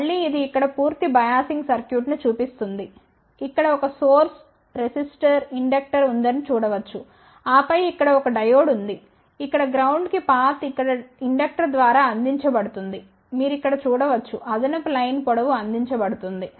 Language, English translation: Telugu, So, lets see the result of this particular configuration again it shows the complete biasing circuit over here, one can see that there is a source here, resistor inductor and then there is a diode here the path to the ground is provided through the inductor here, you can see here there is a this additional line length is provided